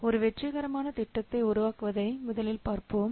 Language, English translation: Tamil, See first let's see what makes a successful project